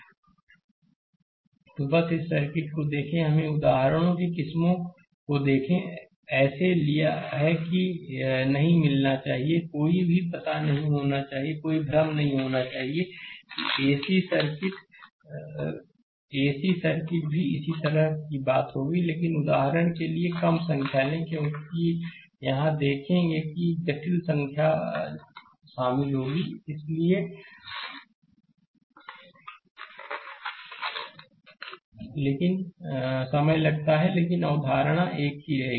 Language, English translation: Hindi, So, just look at this circuit, let us look varieties of examples, we have taken such that you should not get, you should not be any you know you; there should not be any confusion ac circuit also similar thing will be there, but we take less number of examples when you see that because complex number will involve, it takes time to solve right, but concept will remain same